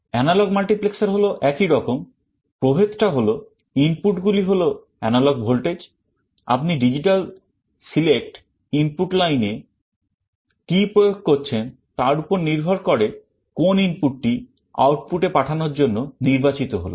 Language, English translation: Bengali, Analog multiplexer is similar, the difference is that the inputs are analog voltages; one of the input will be selected at the output depending on what you are applying at the digital select input lines